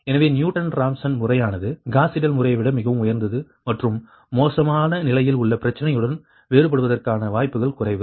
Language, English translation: Tamil, so newton raphson method is much superior than gauss seidel method and is less prone to divergence with ill conditioned problem